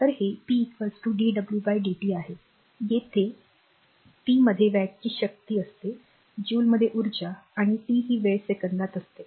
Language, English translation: Marathi, So, it is p is equal to dw by dt where p is the power in watts right w is the energy in joules right and t is the time in second